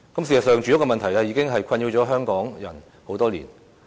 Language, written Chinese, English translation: Cantonese, 事實上，住屋問題已經困擾港人多年。, As a matter of fact the housing problem has been perplexing Hong Kong people for many years